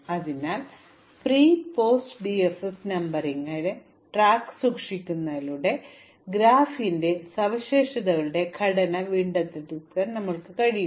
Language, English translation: Malayalam, So by keeping track of the pre and post DFS numbering, we can actually recover structural properties of the graph